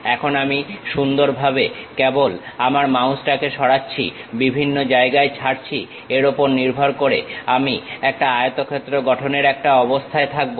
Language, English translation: Bengali, Now, I just nicely move my mouse, release at different locations, based on that I will be in a position to construct a rectangle